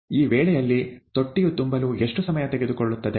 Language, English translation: Kannada, If this is the case, how long would it take to fill the tank